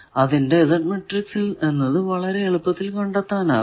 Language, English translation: Malayalam, If you do the Z matrix will be like this